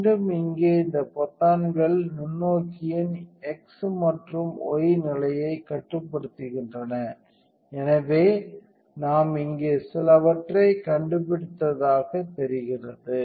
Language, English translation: Tamil, So, again this these buttons right here control the x and y position of the microscope, so it looks like we found something here